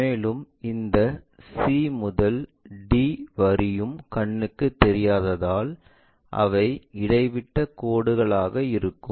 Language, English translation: Tamil, And this c to d line also invisible, so we will have that dashed line